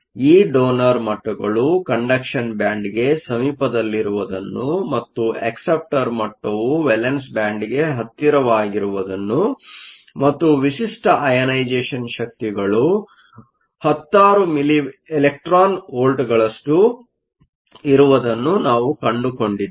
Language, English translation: Kannada, So, we look at the ionization energy of a donor or an acceptor earlier, we found that these donor levels are close to the conduction band and the acceptor level is close to the valence band and typical ionization energies are of the order of tens of milli electron volts